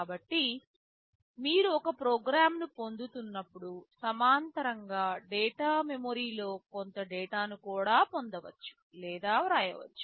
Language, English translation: Telugu, So, while you are fetching a program in parallel you can also fetch or write some data into data memory